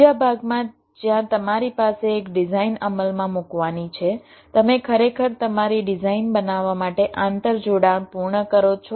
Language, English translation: Gujarati, in the second part, where you have a design to be implemented, you actually complete the interconnections to create your designs, right